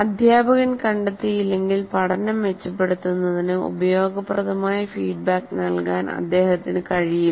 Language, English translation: Malayalam, Unless the teacher is able to find out, he will not be able to give effective feedback to improve their thing